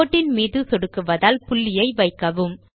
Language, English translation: Tamil, Let us place the dot on the line by clicking